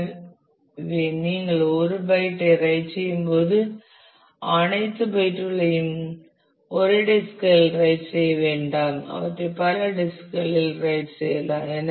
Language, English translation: Tamil, So, when you are writing a byte you do not write all the bytes to the same disk you write them to multiple disks